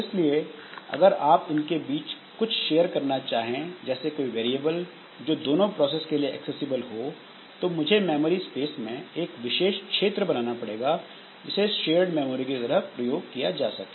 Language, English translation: Hindi, So, if we really want something is to be shared, that is some variable has to be accessible to both the processes, then I need some special area of memory which will be used as the shared memory